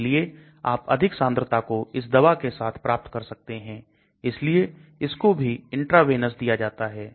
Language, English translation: Hindi, So you can achieve very large concentration with this drug and so this is also given intravenous